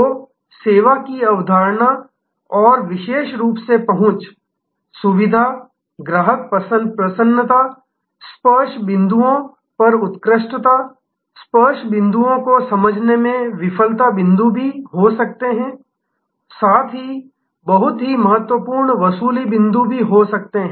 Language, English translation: Hindi, So, the service concept and particularly the importance of access, convenience, customer delight, the excellence at touch points, understanding the touch points can also be failure points as well as can be very important recovery points